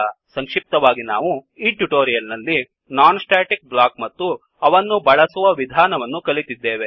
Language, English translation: Kannada, So let us summarizes In this tutorial we learnt#160: About non static block and how to use this block